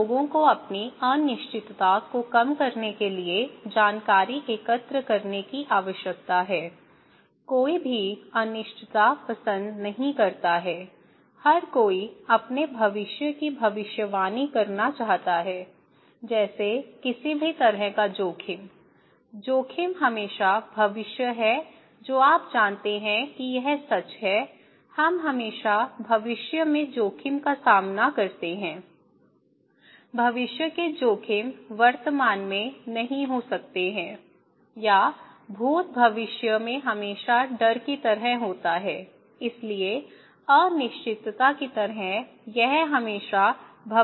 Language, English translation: Hindi, So, now people need to collect information in order to reduce their uncertainty, no one likes uncertainty, everyone wants to predict their future, like any kind of risk; risk is always future you know that is true, we always face risk in future, future risks cannot be in present or past is always in future like fear, so like uncertainty so, it is always in future